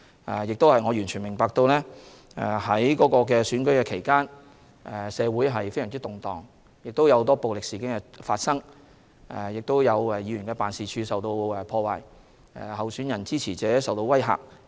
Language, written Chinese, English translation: Cantonese, 我亦完全明白在選舉期間，社會非常動盪，發生很多暴力事件，不少議員辦事處遭破壞，候選人和支持者受威嚇。, We also fully appreciated that the DC Election was conducted amid great social upheavals and a profusion of violent acts with the offices of DC members vandalized and candidates and their supporters intimidated